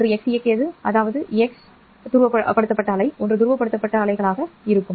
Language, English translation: Tamil, One will be along x directed, that is x polarized wave and one will be y polarized wave